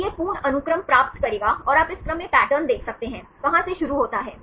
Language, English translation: Hindi, So, will get this full sequence and you can see the pattern in this sequence, where does start from